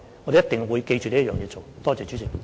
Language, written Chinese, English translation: Cantonese, 我們一定會謹記這點來做的。, We will surely do our work bearing in mind this point